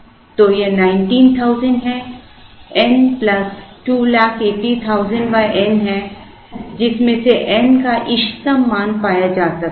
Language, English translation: Hindi, So, this is 19,000, n plus 200 and 80,000 divided by n, from which the optimum value of n can be found